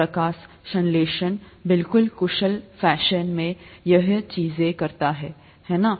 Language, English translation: Hindi, Photosynthesis does exactly the same thing in a very efficient fashion, right